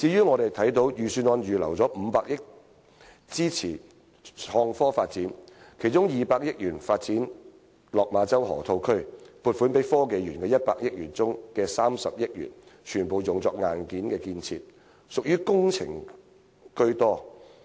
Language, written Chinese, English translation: Cantonese, 我們看到，預算案預留了500億元支持創科發展，其中200億元用於發展落馬洲河套區，而在撥款給香港科技園公司的100億元當中，有30億元全部用作硬件建設。, As we can see the Budget has set aside 50 billion to support IT development of which 20 billion will be used for the development of the Lok Ma Chau Loop . And of the 10 billion to be allocated to the Hong Kong Science and Technology Parks Corporation 3 billion will be used entirely for hardware construction